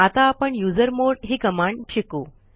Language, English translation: Marathi, Let us learn about the usermod command